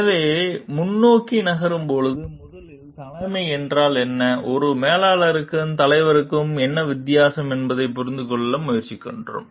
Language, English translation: Tamil, So, moving forward, first we try to understand what is a leadership and what is the difference between a manager and the leader